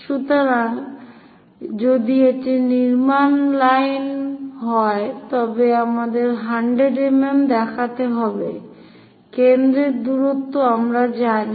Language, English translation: Bengali, So, if it is construction lines we have to show 100 mm; foci distance also we know